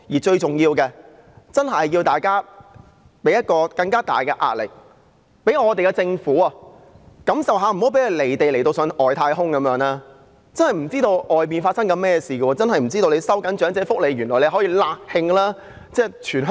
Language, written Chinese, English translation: Cantonese, 最重要的是，大家真的要向政府施加更大的壓力，讓它感受一下，令它不會"離地"到好像上了外太空般，完全不知道外面發生甚麼事，不知道收緊長者福利會"辣㷫"全香港。, Most importantly Members must really exert greater pressure on the Government to give it a lesson so that it will not remain out of touch with reality as if it is up in outer space completely losing touch with what is going on out there and having no idea that the tightening of welfare for the elderly will enrage people across the territory